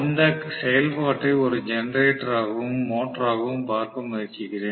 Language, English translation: Tamil, Let me try to look at this operation as a generator and as a motor, right